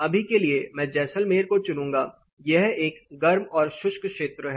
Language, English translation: Hindi, For now I will chose say Jaisalmer it is a hot and dry region